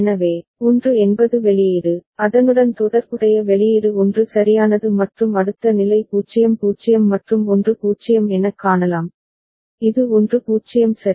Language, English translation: Tamil, So, 1 is the output, you can see the corresponding output is 1 right and next state is 0 0 and 1 0, it is 1 0 ok